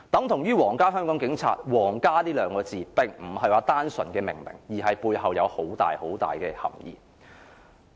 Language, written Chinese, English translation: Cantonese, 同樣地，香港皇家警察，"皇家"二字並不是單純的命名，而是背後有很大的含義。, The same is for the naming of the Royal Hong Kong Police Force . Naming our police force with the word Royal carries enormous implications